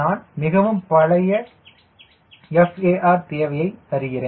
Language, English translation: Tamil, i am giving very old, far requirement